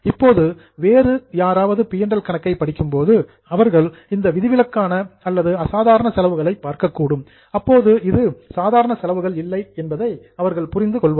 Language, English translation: Tamil, Now, when somebody is reading P&L and they look at an exceptional or extraordinary expense, they would understand that this is not a normal expense